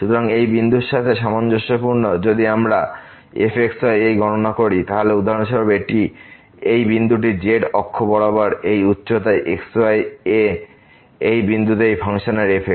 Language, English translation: Bengali, So, corresponding to this point, if we compute this , then for instance this is the point here the height this in along the z axis at this point of this function is